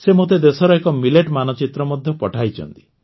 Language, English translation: Odia, She has also sent me a millet map of the country